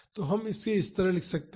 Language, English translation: Hindi, So, we can write this like this